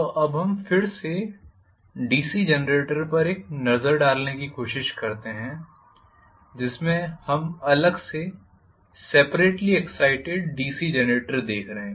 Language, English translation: Hindi, So, lets us try to take a look at now again the DC Generator in that we are looking at separately excited DC Generator